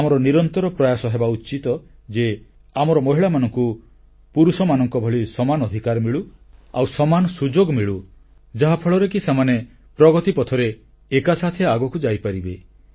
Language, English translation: Odia, It should be our constant endeavor that our women also get equal rights and equal opportunities just like men get so that they can proceed simultaneously on the path of progress